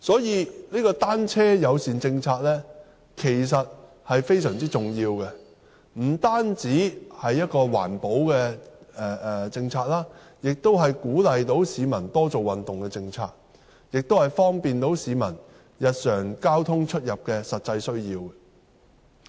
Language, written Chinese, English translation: Cantonese, 因此，"單車友善"政策其實非常重要，不單是一項環保的政策，而且能鼓勵市民多做運動，又能滿足市民日常的實際交通需要。, Thus formulating a bicycle - friendly policy is very important . It is not only an environmental policy but also a policy to encourage exercise and meet the daily transport needs of the public